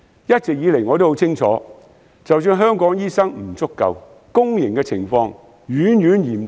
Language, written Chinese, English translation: Cantonese, 一直以來，我都很清楚，在香港醫生不足的情況下，公營的情況遠遠較私營嚴峻。, I consider five years too short a period . While Hong Kong is short of doctors I am always well - aware that the shortage is far more acute in the public sector than in the private sector